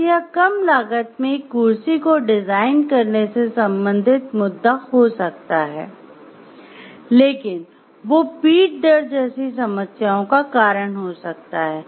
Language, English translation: Hindi, So, it may be the issue may be to design a chair, which may be at a low cost, but which in terms may lead to like backache problems